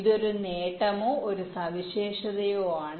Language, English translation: Malayalam, this is one advantage or one feature